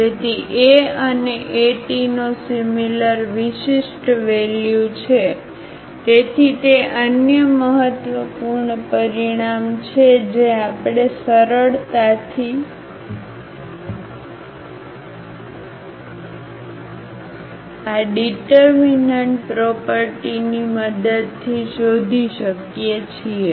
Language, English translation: Gujarati, So, A and A transpose have same eigenvalue, so that is another important result which easily we can find out with the help of this determinant property